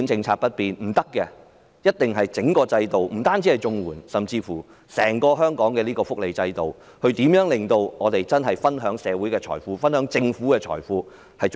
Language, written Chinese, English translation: Cantonese, 我們必須改革整個制度，包括綜援以至香港整個福利制度，令大家能更公平地分享社會和政府財富。, We must reform the entire institution including CSSA and the overall welfare system in Hong Kong so that we can share the wealth of society and the Government more fairly